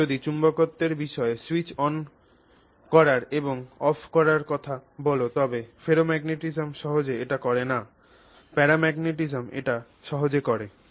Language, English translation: Bengali, So, if you are talking of switching on and switching off for with respect to magnetism, this is convenient, this is convenient paramagnetism enables this